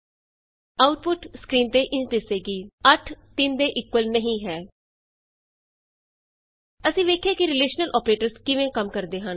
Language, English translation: Punjabi, The output is displayed on the screen: 8 is not equal to 3 So, we see how the relational operaotors work